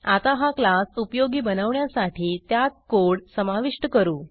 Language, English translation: Marathi, Now let us make the class useful by adding some variables